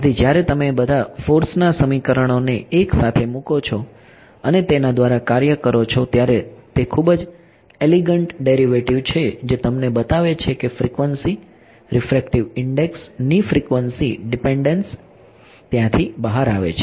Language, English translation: Gujarati, So, when you put all the force equations together and work through it is a very elegant derivation which shows you that frequency, the frequency dependence of the refractive index it comes out over there